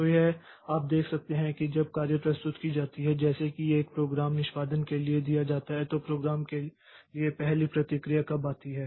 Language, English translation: Hindi, So, it is you can see that when the job is submitted like a program is given for execution, when is the first response for the program comes